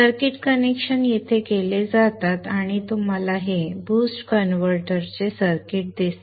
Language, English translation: Marathi, The circuit connections are made here and you see this is the circuit of the boost converter